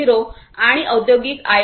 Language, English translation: Marathi, 0 and industrial IoT